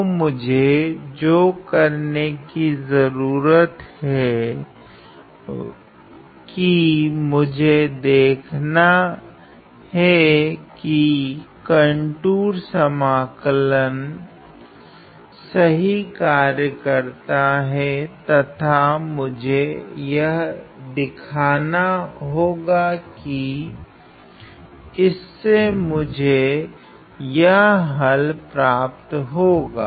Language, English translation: Hindi, So, all I need to do is that, I need to see that, really my contour integral works well and I need to show you that it indeed gives me this answer ok